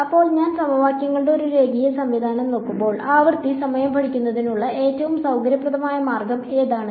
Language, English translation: Malayalam, So, when I am looking at a linear system of equations then, what is the most convenient way of studying time of frequency